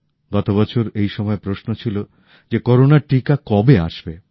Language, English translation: Bengali, Last year, around this time, the question that was looming was…by when would the corona vaccine come